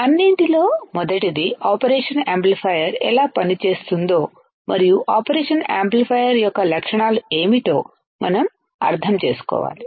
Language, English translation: Telugu, First of all, we should understand how the operational amplifier works, and what are the characteristics of the operational amplifier